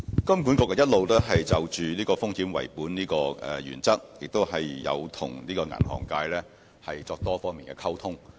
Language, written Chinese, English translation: Cantonese, 金管局一直有就"風險為本"的原則，與銀行界作多方面的溝通。, HKMA has maintained communication with banks on various fronts on the risk - based principle